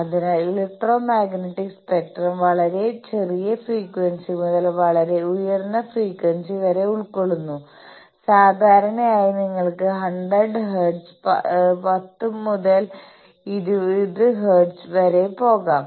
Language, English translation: Malayalam, So, the electromagnetic spectrum covers from very small frequency to very high frequency, typically 100 hertz to you can go up to 10 to the power 20 hertz